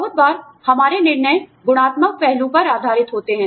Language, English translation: Hindi, A lot of times, our judgements are based on, qualitative aspect